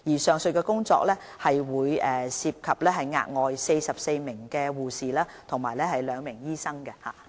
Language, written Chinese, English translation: Cantonese, 上述工作將涉及額外44名護士和2名醫生。, The aforementioned measures will entail an additional 44 nurses and two doctors